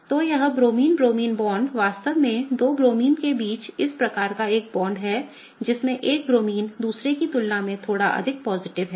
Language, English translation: Hindi, So, this Bromine Bromine bond is really a bond between two Bromines such that one of them is slightly more positive than the other